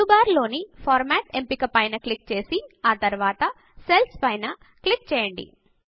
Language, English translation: Telugu, Now click on the Format option in the menu bar and then click on Cells